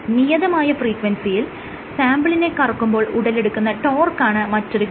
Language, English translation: Malayalam, The second thing that you can track is the torque that is being applied for rotating the sample at that given frequency